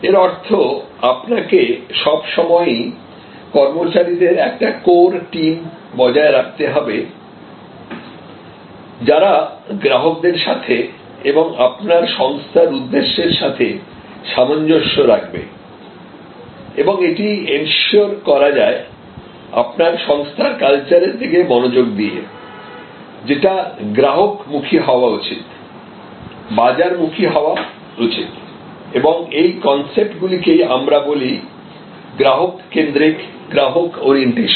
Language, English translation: Bengali, That means there has to be always a core set of employees in tune with customers, in tune with the goals and that can be often ensured by paying good attention to your organizational culture, which should be customer oriented, which should be market oriented and these are concepts that what does it mean customer centricity, customer orientation